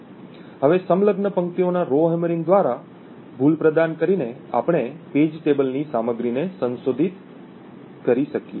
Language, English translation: Gujarati, Now by inducing an error through the Rowhammering of the adjacent rows we would be able to modify the contents of the page table